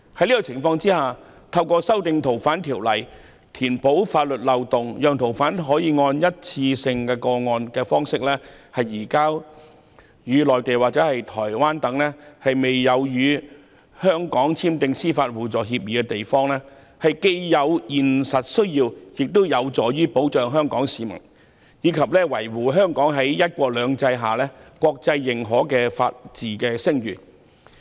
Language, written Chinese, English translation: Cantonese, 在這種情況下，透過修訂《逃犯條例》填補法律漏洞，以便按單一個案方式移交逃犯到內地或台灣等尚未與香港簽訂司法互助協議的地方，是有現實需要的，亦有助保障香港市民，以及維護香港在"一國兩制"下獲國際認可的法治聲譽。, Under these circumstances it is practically necessary to plug the legal loopholes through amending the Fugitive Offenders Ordinance so that the arrangements for case - based surrender of fugitive offenders can be made to places such as the Mainland or Taiwan which have not yet signed mutual legal assistance agreements with Hong Kong . This will also help protect Hong Kong people and secure Hong Kongs internationally recognized reputation of the rule of law under one country two systems